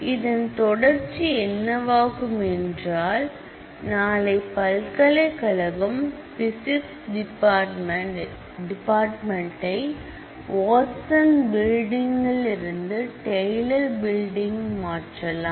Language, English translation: Tamil, The consequence of this could be suppose, tomorrow the university decides to move this Physics department from Watson to the Taylor building